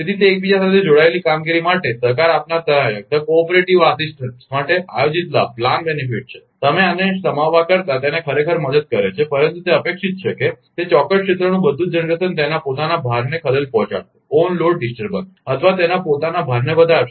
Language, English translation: Gujarati, For the interconnected operations, the cooperating assistant, it helps actually rather than you have accommodating this, but it is expected that all that, all the generation in the particular area will accommodate its own load disturbance or own load increase